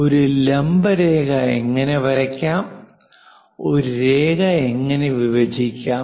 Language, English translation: Malayalam, How to draw perpendicular line, how to divide a line